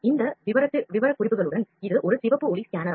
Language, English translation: Tamil, It is a red light scanner with these specifications